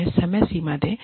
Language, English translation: Hindi, Give them deadlines